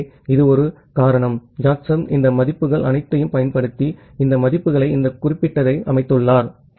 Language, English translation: Tamil, So, that is just a reason possibly Jacobson has utilized all this values and set this values set this particular